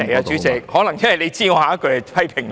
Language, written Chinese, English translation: Cantonese, 主席，可能你知道我下一句會批評你。, Perhaps you know I am going to criticize you so you stop me